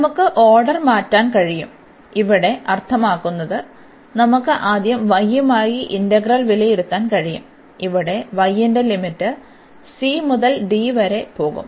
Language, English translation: Malayalam, We can change the order; here meaning that we can first evaluate the integral with respect to y, where the limits of y will go from c to d